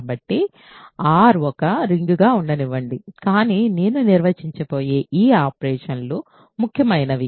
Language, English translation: Telugu, So, let R be a ring, but this is these operations I am going to define are important